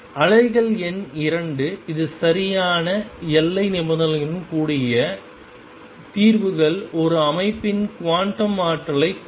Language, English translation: Tamil, Waves number 2; it is solutions with proper boundary conditions give the quantum energies of a system